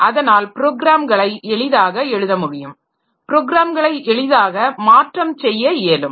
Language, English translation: Tamil, So, if the programs can be easily written programs can be easily modified and all that